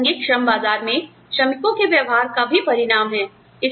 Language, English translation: Hindi, It is also a result of, behavior of workers, in relevant labor market